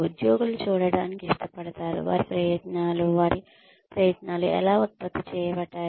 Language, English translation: Telugu, Employees like to see, how their efforts, what their efforts, have produced